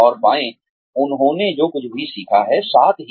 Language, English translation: Hindi, And find, what they have learnt, along the way